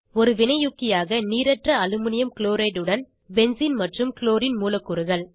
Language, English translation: Tamil, Benzene and Chlorine molecule with Anhydrous Aluminum Chloride as a catalyst